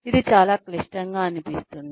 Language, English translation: Telugu, It sounds very complicated